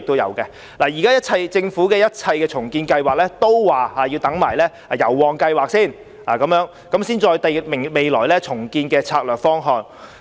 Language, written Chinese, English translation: Cantonese, 現時，政府說一切重建計劃都要先視乎油旺計劃的研究結果，然後才制訂未來的重建策略方向。, At present the Government says all renewal plans are subject to the outcome of the district study for Yau Ma Tei and Mong Kok first . The strategic direction for future renewal will not be formulated until then